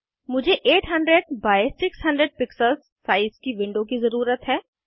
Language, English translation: Hindi, I need a window of size 800 by 600 pixels